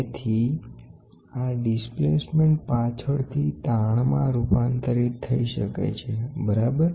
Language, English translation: Gujarati, So, this displacement can later the converted into strains, right